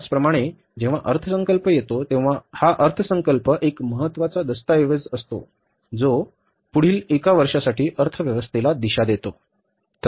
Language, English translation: Marathi, Similarly when the budget comes, so budget is a very important document which gives a direction to the economy for the next one year